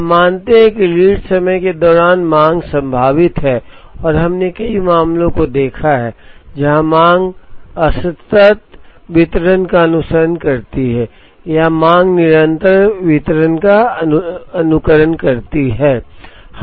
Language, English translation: Hindi, We assume that the demand during the lead time is going to be probabilistic and we have looked at several cases, where the demand follows a discrete distribution or the demand follows a continuous distribution